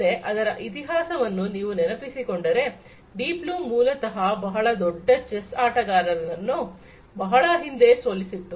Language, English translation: Kannada, So, if you recall you know its history now, that Deep Blue, basically defeated one of the greatest chess players long time back